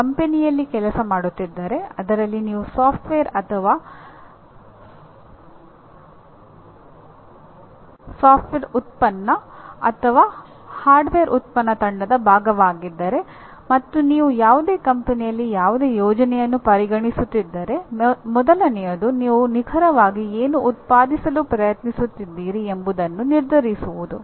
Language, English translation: Kannada, If you are working in a company, whether you are a part of a software team, software product team or a hardware product team, if you are considering any project in any company, the first thing is to decide what exactly are you trying to produce